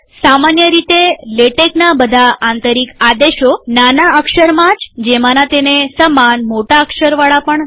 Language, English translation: Gujarati, In general, most built in commands of latex are in lower case only without upper case equivalents